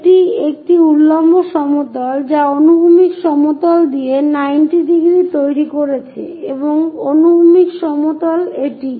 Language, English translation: Bengali, So, this is vertical plane which is making 90 degrees with the horizontal plane and horizontal plane is this